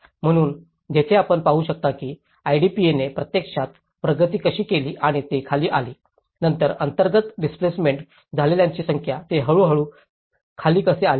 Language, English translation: Marathi, So, you can see here that you know, the IDP how it has actually progressed and it has come down, later on, the number of internal displaced persons, how they have come down gradually